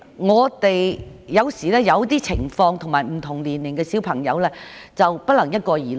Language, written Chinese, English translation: Cantonese, 我們要因應不同情況及不同年齡的學生作出決定，不能一概而論。, We should take into account different circumstances and students of different ages in making decisions instead of making generalizations